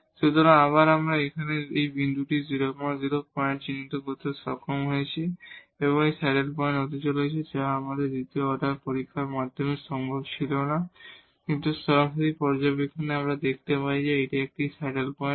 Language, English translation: Bengali, So, again we were able to identify this point here the 0 0 point and this comes to be the saddle point and which was not possible with the second order test, but the direct observation we can find that this is a saddle point